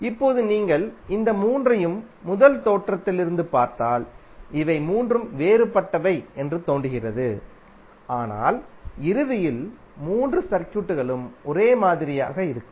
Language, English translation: Tamil, Now if you see all this three from first look it looks likes that all three are different, but eventually all the three circuits are same